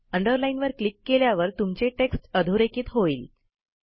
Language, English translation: Marathi, Clicking on the Underline icon will underline your text